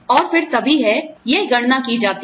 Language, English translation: Hindi, And that is then, you know, it is calculated